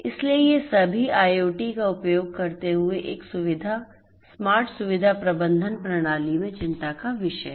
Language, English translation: Hindi, So, all of these and so on; so these are the concerns in a single facility smart facility management system using IoT